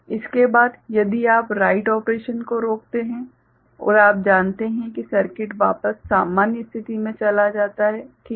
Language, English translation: Hindi, After, if you stop the write operation and you know the circuit is goes back to it is normal state ok